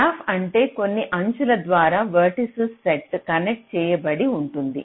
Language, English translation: Telugu, graph is what a set of vertices connected by some edges